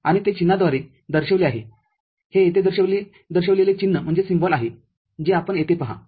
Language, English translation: Marathi, And that is represented through a symbol the symbol over here you see, is this one